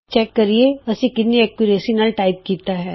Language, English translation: Punjabi, Lets check how accurately we have typed